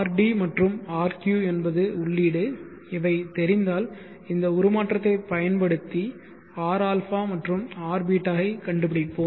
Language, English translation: Tamil, So that is what this transformation has done rd and rq is the input knowing these we will use this transformation and find out ra and rbeeta for this